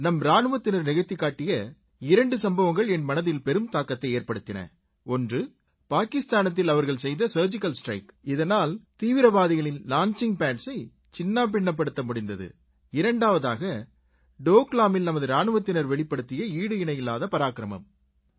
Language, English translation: Tamil, Two actions taken by our Indian soldiers deserve a special mention one was the Surgical Strike carried out in Pakistan which destroyed launching pads of terrorists and the second was the unique valour displayed by Indian soldiers in Doklam